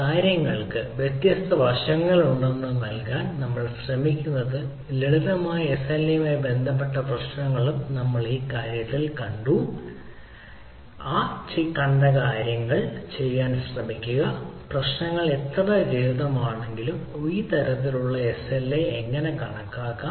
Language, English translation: Malayalam, so what we try to give that the there are different aspect to the things and try do in this thing, which we have also seen, to simple sla related problem, how it can be, how this type of slas are calculated, though the problems are very simple and straight forward, but it gives us a idea that how you can apprise the approach